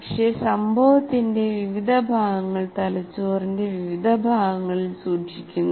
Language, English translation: Malayalam, But different parts of the event are stored in different parts of the brain